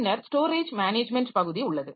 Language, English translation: Tamil, Then we have got the storage management part